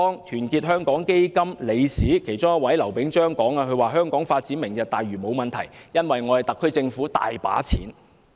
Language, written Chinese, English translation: Cantonese, 團結香港基金其中一位理事劉炳章曾說，香港發展"明日大嶼"沒有問題，因為特區政府有很多錢。, One of the Governors of Our Hong Kong Foundation LAU Ping - cheung says that there is no problem for Hong Kong to pursue the Lantau Tomorrow programme for the SAR Government is rich